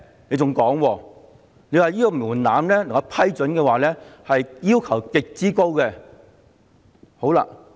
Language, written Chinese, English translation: Cantonese, 你還說，如要獲批准，必須符合極高的門檻。, You also stated that there was an exceptionally high threshold for approval of such move